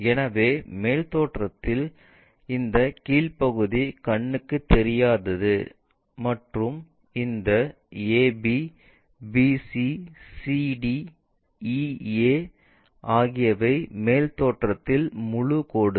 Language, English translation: Tamil, So, in the top view, this bottom one is invisible and this ab, bc, cd, ea are full lines in top view